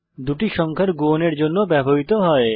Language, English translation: Bengali, * is used for multiplication of two numbers